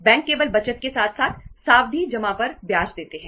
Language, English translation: Hindi, Banks only pay interest on the savings as well as the fixed deposits